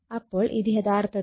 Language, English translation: Malayalam, So, this is actually V1 = minus E1